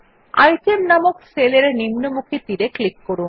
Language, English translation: Bengali, Click on the down arrow on the cell named Item